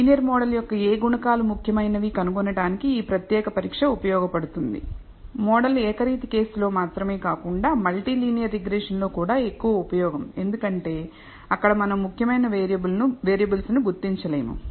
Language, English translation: Telugu, So, this particular test for finding which coefficients of the linear model are significant is useful not only in the univariate case but more useful in multi linear regression, where we are would not identify important variables